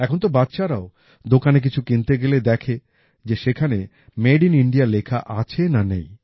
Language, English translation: Bengali, Now even our children, while buying something at the shop, have started checking whether Made in India is mentioned on them or not